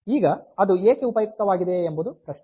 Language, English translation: Kannada, Now, why is it why is it useful